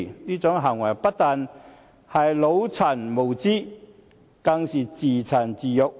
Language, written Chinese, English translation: Cantonese, 這種行為不但是"腦殘"無知，更是自賤自辱。, Such an action does not only demonstrate brainless naïvety but also brings shame to the person concerned